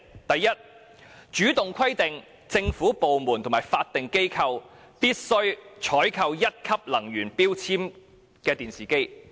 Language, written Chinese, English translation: Cantonese, 第一，主動規定政府部門和法定機構必須採購1級能源標籤的電視機。, First it should proactively require government departments and statutory bodies to procure TVs with Grade 1 energy label